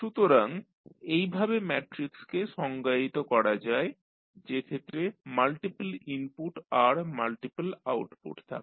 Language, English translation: Bengali, So, this is how you define the matrix which contains the multiple output and multiple input